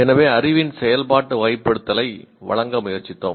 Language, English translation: Tamil, So we try to give kind of an operational categorization of knowledge